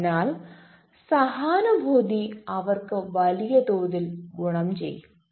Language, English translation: Malayalam, so empathy is going to benefit them in a big way